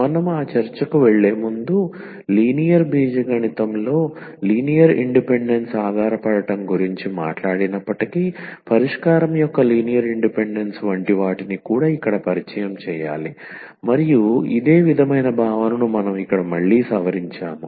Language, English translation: Telugu, So, before we go to that discussion we need to also introduce here like linear independence of solution though we have talked about linear dependence in an independence in linear algebra and a similar concept we will just revise again here